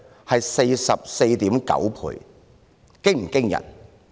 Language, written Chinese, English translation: Cantonese, 是 44.9 倍，這是否驚人呢？, 44.9 times . Is this not astonishing?